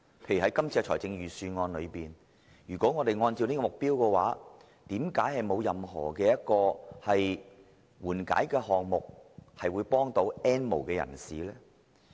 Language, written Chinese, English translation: Cantonese, 在今年的預算案中，如果按照這個目標，為何沒有任何緩解項目以幫助 "N 無人士"？, How come this years Budget has not introduced any relief measure to help the N have - nots so as to achieve this objective?